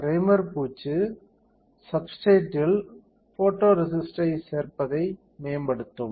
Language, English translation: Tamil, Because primer coating will improve the addition of photoresist with onto the substrate